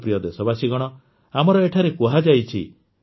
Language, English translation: Odia, My dear countrymen, we it has been said here